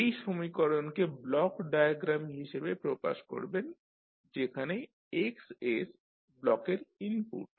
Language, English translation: Bengali, You will represent this particular equation in the form of block diagram as Xs is the input to the block